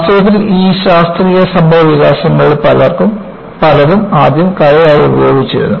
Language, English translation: Malayalam, In fact, many of these scientific developments was originally practiced as Art